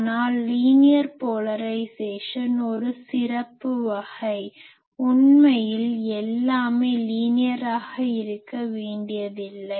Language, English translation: Tamil, But linear polarisation again is a special case actually all things need not be linear